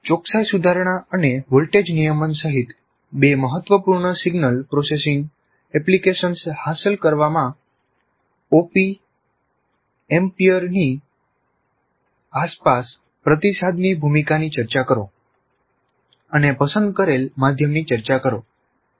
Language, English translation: Gujarati, So, discuss the role of the feedback around an appamp in achieving two important signal processing applications including precision rectification and voltage regulation and the mode shall produce discussion